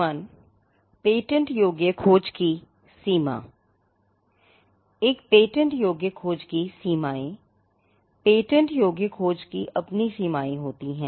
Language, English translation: Hindi, The patentability search has it is own limitations